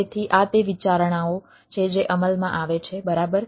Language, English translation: Gujarati, so these are the considerations which come into play right